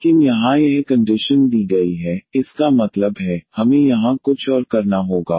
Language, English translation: Hindi, But here this condition is given; that means, we have to do little more here